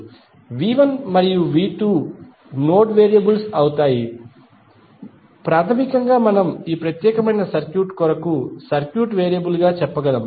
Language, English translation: Telugu, So, V 1 and V 2 would be the node variables basically we can say it as a circuit variable for this particular circuit